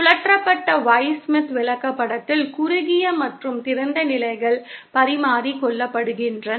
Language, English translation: Tamil, In the rotated Y Smith chart, the short and open positions are exchanged